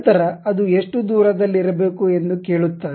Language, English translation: Kannada, Then it ask how much distance it has to be there